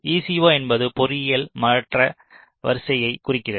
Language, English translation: Tamil, equal stands for engineering change order